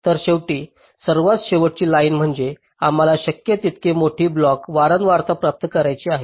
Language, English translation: Marathi, so ultimately, the bottom line is we want to achieve the greatest possible clock frequency